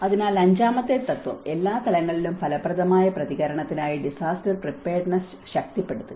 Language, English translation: Malayalam, So, the fifth principle, strengthen disaster preparedness for effective response at all levels